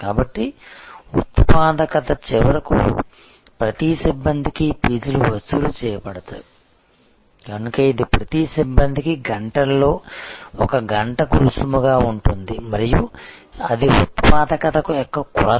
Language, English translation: Telugu, So, productivity was finally, seen that fees per staff that could be collected, so which could be then a fees per hours into hours per staff and that was the measure of productivity